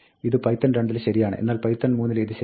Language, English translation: Malayalam, This is legal in python 2; this is not legal in python 3